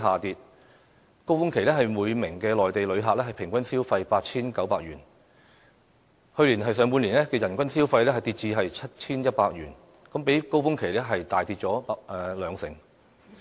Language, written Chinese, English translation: Cantonese, 於高峰期內，每名內地旅客平均消費 8,900 元，但去年上半年的人均消費，卻下跌至 7,100 元，比高峰期大幅減少大約兩成。, It began to drop since then . During peak years each Mainland visitor spent 8,900 on average but the per capita spending in the first half of last year slipped to 7,100 representing a significant drop of about 20 % from the peak years